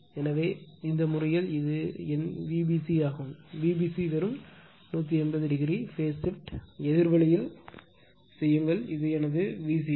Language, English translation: Tamil, So, in this case you are this is my V b c if I want V c b just 180 degree phase shift just make other way opposite way this is my V c b right